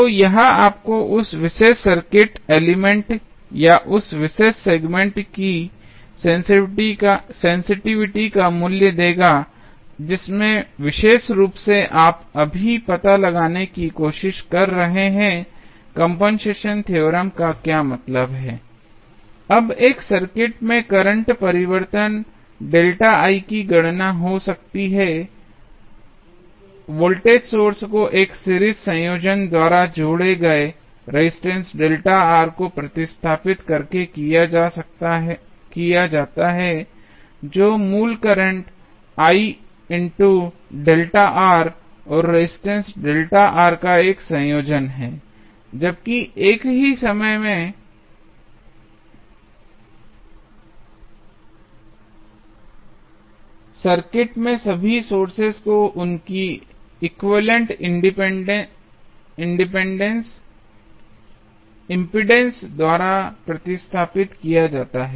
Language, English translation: Hindi, So, that will give you the value of sensitivity of that particular circuit element or the particular segment in which you are trying to find out now, particularly, what does compensation theorem means, now, the calculation of current change delta I in a circuit may be carried out by replacing the added resistance delta R by a series combination of voltage source that is a combination of original current I into delta R and resistance delta R while at the same time replacing all sources in the circuit by their equivalent impedances